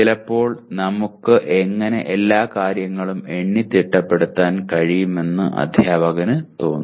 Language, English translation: Malayalam, And sometimes the teacher feel how can we enumerate all the things